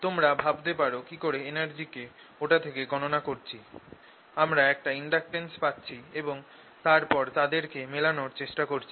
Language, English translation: Bengali, you may be wondering how energy from that i am getting in inductance and then trying to match them